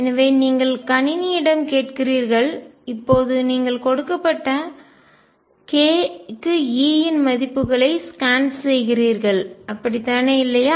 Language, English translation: Tamil, So, you ask to computer now you scan over values of E for a given k, right